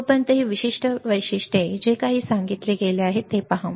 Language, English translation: Marathi, Till then, see this particular specifications whatever has been told